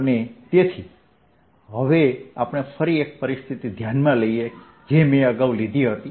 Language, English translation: Gujarati, and therefore now consider again a situation i took earlier